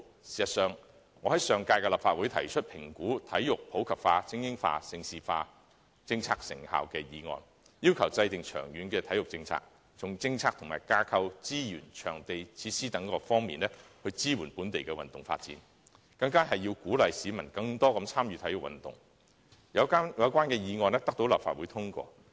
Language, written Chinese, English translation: Cantonese, 事實上，我在上屆立法會提出有關"評估'體育普及化、精英化、盛事化'政策的成效"的議案，要求制訂長遠體育政策，從政策及架構、資源、場地和設施等各方面支援本地運動發展，並鼓勵市民更多參與體育運動，有關議案獲得立法會通過。, In fact in the Legislative Council of the last term I proposed a motion on Evaluating the effectiveness of the policy on promoting sports in the community supporting elite sports and developing Hong Kong into a prime destination for hosting major international sports events and called on the Government to formulate a long - term sports policy support local sports development in various aspects from policy and framework to resources venues facilities and so on and encourage the public to participate in sports . The relevant motion was passed by the Legislative Council